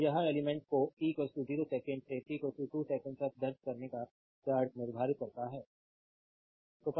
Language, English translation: Hindi, So, this is the determining the charge entering the element from t is equal to 0 second to t is equal to 2 seconds